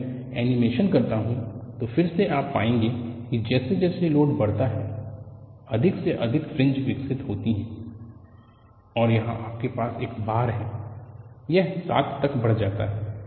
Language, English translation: Hindi, whenIWhen I do the animation, again you will find, as the load is increased, you see more and more fringes are developed, and here you have the bar; this goes up to 7